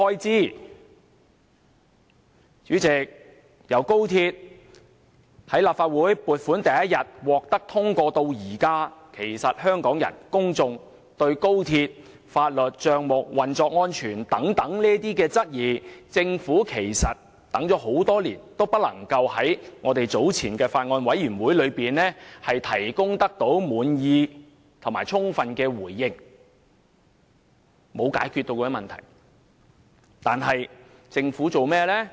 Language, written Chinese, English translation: Cantonese, 主席，由立法會通過高鐵撥款的第一天至今，香港人一直對於有關高鐵的法律、帳目和運作安全等，表示質疑，政府多年來也無法在不同場合，包括法案委員會上，作出充分而令人滿意的回應，問題依然未獲解決。, President ever since the Legislative Council approved the funding for XRL Hong Kong people have cast doubts on the legal issues accounts and operational safety of XRL but over the years the Government has failed to provide a justifiable and satisfactory response to the questions on various occasions including at meetings of the Bills Committee